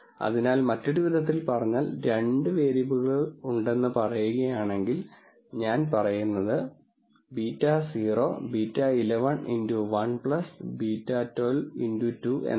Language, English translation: Malayalam, So, in other words if let us say there are 2 variables I say beta naught beta 1 1 x 1 plus beta 1 2 x 2